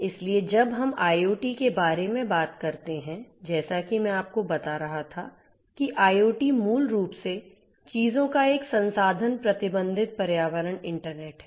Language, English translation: Hindi, So, when we talk about IoT as I was telling you that IoT is basically a resource constrained environment internet of things right